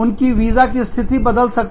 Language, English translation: Hindi, Their visa status, may change